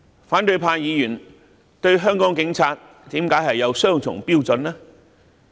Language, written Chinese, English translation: Cantonese, 反對派議員對香港警察為何有雙重標準呢？, Why have opposition Members used double standards towards police officers in Hong Kong?